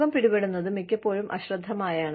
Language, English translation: Malayalam, Falling sick, most of the times, is inadvertent